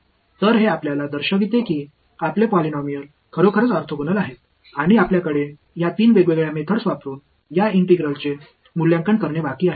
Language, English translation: Marathi, So, this shows us that these our polynomials are indeed orthogonal and what remains for us to do is to evaluate this integral using let us say three different methods